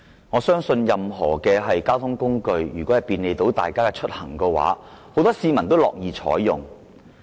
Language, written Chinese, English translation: Cantonese, 我相信任何交通工具若能便利大家出行，很多市民都會樂意使用。, I believe that many people will gladly use any means of transport as long as they can facilitate their travelling